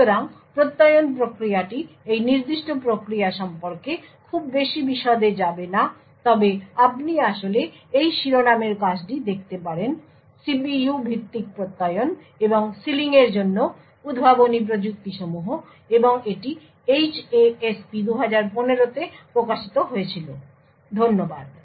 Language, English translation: Bengali, So, the Attestation process is will not go into too much detail about this particular process but you could actually look at this paper title Innovative Technologies for CPU based Attestation and Sealing and this was published in HASP 2015, thank you